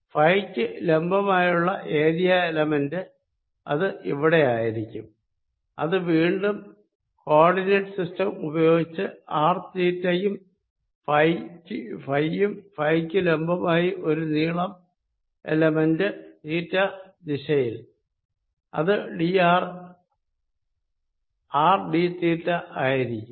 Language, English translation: Malayalam, that's going to be here perpendicular to phi and that is going to be again using a coordinate systems in r theta and phi will have a length element perpendicular to phi, in theta direction, which is going to be r d theta